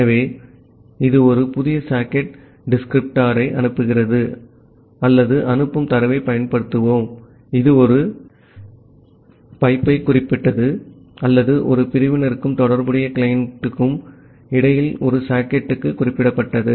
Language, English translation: Tamil, So, it returns a new socket descriptor that we will used in the in sending or the receiving data, which is specific to a pipe or specific to a socket between a sever and the corresponding client